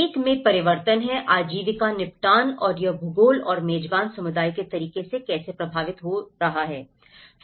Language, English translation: Hindi, One is the change in the livelihood settlement and how it is influenced by the geography and the way host community is lived